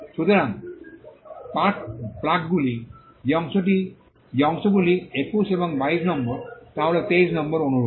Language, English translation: Bengali, So, the parts that are spark plugs are number 21 and 22, sleeve is number 23, the similar